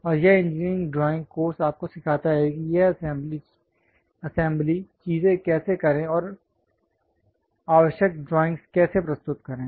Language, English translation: Hindi, And our engineering drawing course teach you how to do this assembly things and also how to represent basic drawings